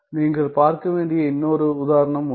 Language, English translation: Tamil, Then there is one more example I need you to see